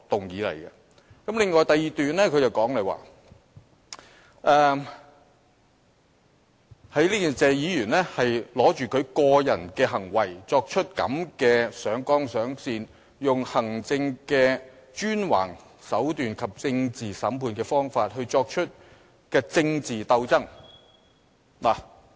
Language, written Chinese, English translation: Cantonese, 此外，在他第二段的發言中，他指謝議員抓住他個人的行為，這樣"上綱上線"、採用行政專橫的手段和政治審判的方法來作出政治鬥爭。, Moreover in the second paragraph of his speech he accused Mr TSE of seizing upon his personal behaviour and blowing it out of proportions to wage political struggles by resorting to high - handed executive ploys and political prosecution